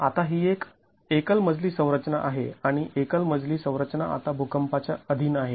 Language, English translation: Marathi, Now this is a single storied structure and the single story structure is now being subjected to an earthquake